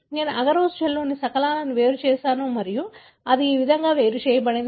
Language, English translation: Telugu, I have separated the fragments in agarose gel and this is how it separated